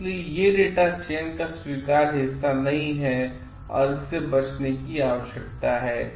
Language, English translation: Hindi, So, these are not acceptable part of data selection and this needs to be avoided